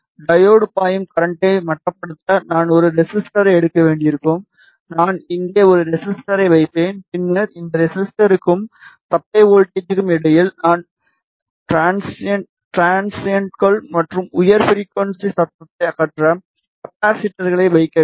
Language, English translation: Tamil, Then I will have to take a resistor to limit the current that is flowing into the diode I will place a resistor over here, then in between this resistor and the supply voltage I have to put capacitors to remove the transients and high frequency noise